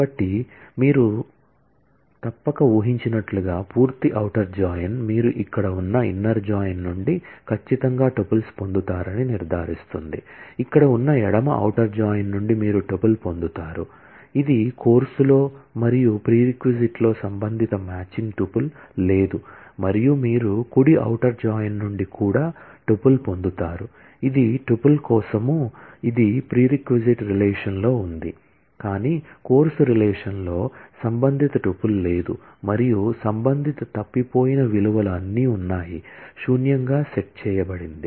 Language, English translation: Telugu, So, full outer join as you must have guessed will ensure that you get certainly the tuples from the inner join, which is here, you will get the tuple from the left outer join that is here, that is a tuple which exists in course and there is no corresponding matching tuple in the prereq and you will also get the tuple from the right outer join, that is for tuple, which exists in the prereq relation, but there is no corresponding tuple in the course relation and corresponding missing values are all set to null